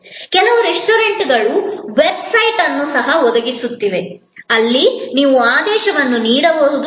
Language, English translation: Kannada, Some restaurants are even providing a website, where you can place the order